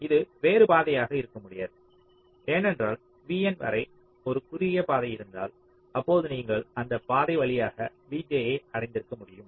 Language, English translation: Tamil, only it cannot be some other path, because if there is a shorter path up to v n, then you could have reached v j via that path